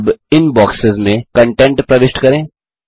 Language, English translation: Hindi, Lets enter content in these boxes now